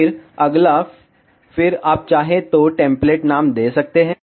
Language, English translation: Hindi, Then next, then you can give the template name, if you want